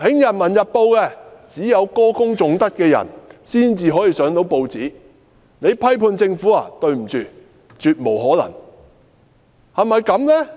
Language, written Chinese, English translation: Cantonese, 《人民日報》只有歌功頌德的人出現，批判政府的人絕無可能出現。, Peoples Daily only allows people to sing praises for the authorities and definitely disallows any criticisms against the Government